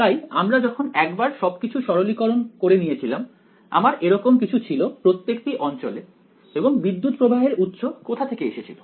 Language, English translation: Bengali, So, after I simplified everything I had something like in either region and the where did the current source appear